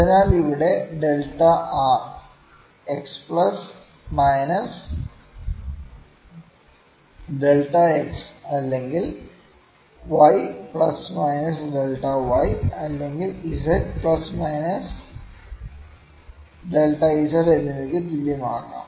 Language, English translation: Malayalam, So, here the delta r could be equal to x plus minus delta x or y plus minus delta y over z plus minus delta z